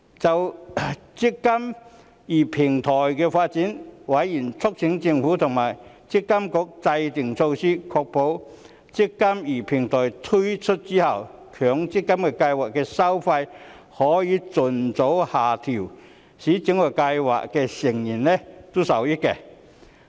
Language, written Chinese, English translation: Cantonese, 就"積金易"平台的發展，委員促請政府和強制性公積金計劃管理局制訂措施，確保"積金易"平台推出後，強制性公積金計劃的收費可盡早下調，使計劃成員受惠。, On the development of the eMPF Platform members urged that the Administration and the Mandatory Provident Fund Schemes Authority should develop measures to ensure scheme members could benefit from a fee reduction of Mandatory Provident Fund schemes as early as possible after the launch of the eMPF Platform